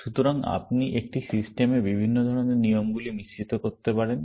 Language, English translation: Bengali, So, you could mix up rules of different kinds into one system